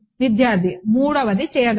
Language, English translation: Telugu, That the third can